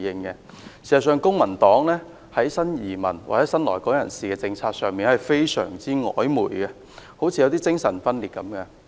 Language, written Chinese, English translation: Cantonese, 事實上，公民黨的新移民或新來港人士政策非常曖昧，好像精神分裂一樣。, As a matter of fact the policy of the Civic Party on new immigrants or new entrants has been very ambiguous as if they are schizophrenic